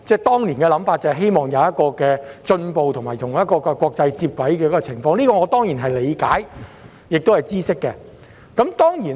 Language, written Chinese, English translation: Cantonese, 當年的想法是希望能有進步和與國際接軌，我對此當然理解和知悉。, I certainly understand and am aware that it was intended to promote improvement and tie in with international practices